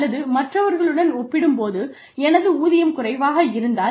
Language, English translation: Tamil, Or, if my pay is less, as compared to the others